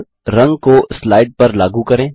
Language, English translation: Hindi, Now, lets apply a color to the slide